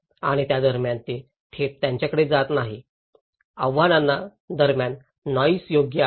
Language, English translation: Marathi, And also in between, it does not directly go to them, in between the challenge is the noise right